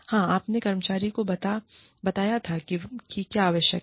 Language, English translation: Hindi, Yes, you told the employee, what was required